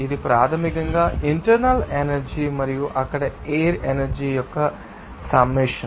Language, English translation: Telugu, This is basically the summation of internal energy and the flow energy there